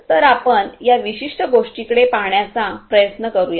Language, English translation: Marathi, So, let us try to look at this particular thing